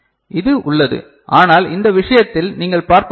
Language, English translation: Tamil, So, this is there whereas, in this case what you see